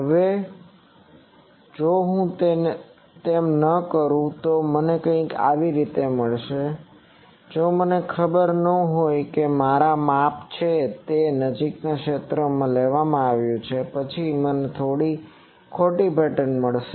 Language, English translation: Gujarati, Now, if I do not do that I will get something and if I am not aware that it is measurement has been taken in the near field; then I will get some wrong pattern